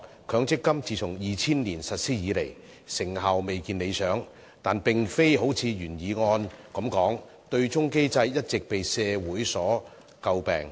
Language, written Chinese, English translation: Cantonese, 強積金計劃自從2000年實施以來，成效的確未如理想，但問題並非如原議案措辭所述，對沖機制一直為社會詬病。, Since the implementation of the Mandatory Provident Fund MPF scheme in 2000 its effectiveness has indeed been unsatisfactory . However it is not because the offsetting mechanism has all along been criticized by society as stated in the original motion